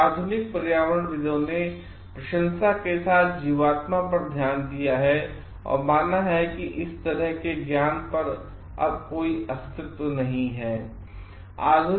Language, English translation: Hindi, Some modern environmentalists have looked upon animism with admiration and have believed that such wisdom such type of wisdom does not exist anymore